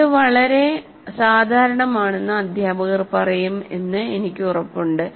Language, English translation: Malayalam, I'm sure that teachers find it very common